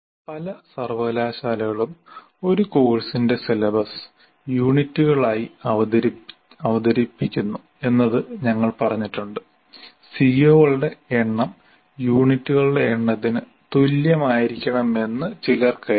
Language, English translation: Malayalam, And this we have also stated, so there are as many universities present their syllabus as a course as units, some feel that the number of C O should be exactly equal to number of units